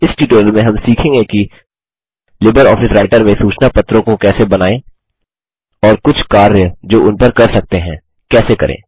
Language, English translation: Hindi, In this tutorial we will learn how to create newsletters in LibreOffice Writer and a few operations that can be performed on them